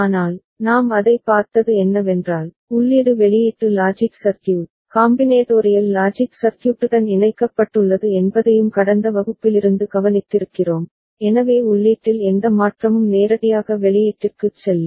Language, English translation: Tamil, But, what we have seen that, we have noted from the last class also that the input is connected to the output logic circuit, the combinatorial logic circuit, so any change in input directly passes to the output ok